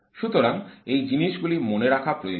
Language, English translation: Bengali, So these are the things that need to be kept in mind